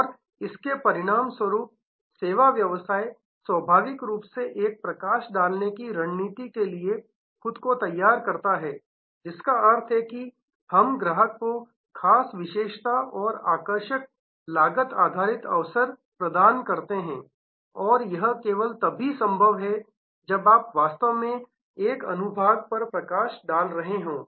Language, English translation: Hindi, And as a result, service business naturally lends itself to a focus strategy, which means, that we offer distinctive features and attractive cost based opportunities to the customer and that is only possible if you are actually having a segment focus